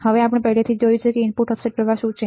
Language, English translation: Gujarati, Now, we already have seen what is input offset current